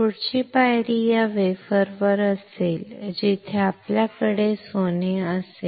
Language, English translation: Marathi, The next step would be on this wafer where you have gold